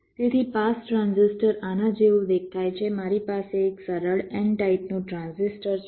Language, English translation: Gujarati, so a pass transistor looks like this: i have a simple n type transistor